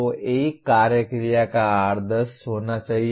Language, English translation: Hindi, So one action verb should be the norm